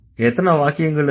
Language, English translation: Tamil, And how many sentences